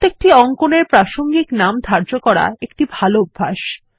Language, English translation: Bengali, Its a good practice to assign a name that is relevant to the drawing